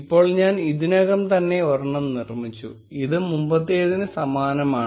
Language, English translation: Malayalam, Now I have already created one, which looks very similar to the previous one